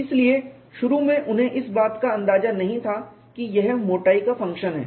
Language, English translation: Hindi, So, initially to start with, they did not have an idea that it is a function of thickness